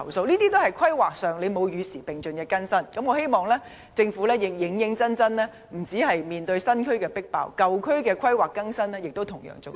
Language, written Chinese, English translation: Cantonese, 這些都是在規劃上沒有與時並進地更新，我希望政府認真處理問題，不止面對新區"迫爆"的情況，舊區的規劃更新亦同樣重要。, I hope the Government can seriously address them . Besides handling the problem of overcrowdedness in new districts it is equally important to update the planning in the old districts